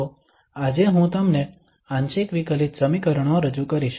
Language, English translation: Gujarati, So, today I will introduce you the partial differential equations